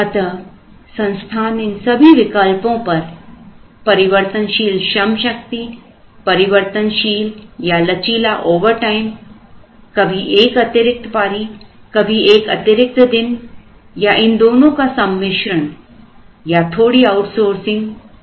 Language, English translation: Hindi, So, organizations look at all of these variable workforce variable or flexible overtimes sometimes an extra shift, sometimes an extra day and a combination of these two, a bit of outsourcing